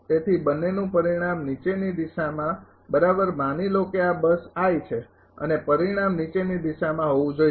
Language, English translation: Gujarati, So, resultant of this two in the in the downward direction right suppose this is bus i and resultant should be in the downward direction